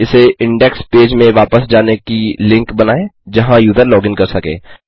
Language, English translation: Hindi, Put this as a link back to out index page in which the user could login